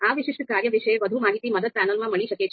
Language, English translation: Gujarati, More information on this particular function, you can always refer the help panel